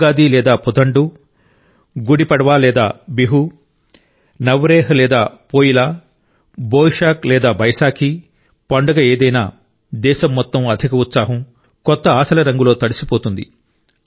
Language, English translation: Telugu, Be it Ugadi or Puthandu, Gudi Padwa or Bihu, Navreh or Poila, or Boishakh or Baisakhi the whole country will be drenched in the color of zeal, enthusiasm and new expectations